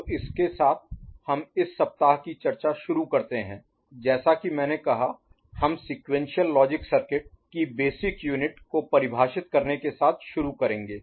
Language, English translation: Hindi, So, with this we start this week’s discussion as I said, we shall start with defining basic units of sequential logic circuit which is memory element also called flip flop